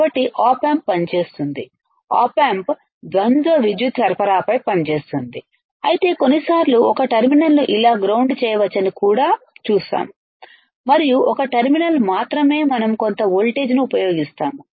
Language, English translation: Telugu, So, op amp works, op amp works on a dual power supply, but sometimes we will also see that one terminal can be grounded like this; and only one terminal we are applying some voltage